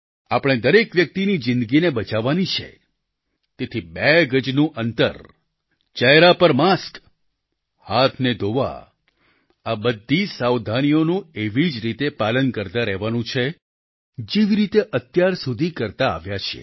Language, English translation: Gujarati, We have to save the life of every human being, therefore, distancing of two yards, face masks and washing of hands are all those precautions that are to be meticulously followed in the same manner as we have been observing them so far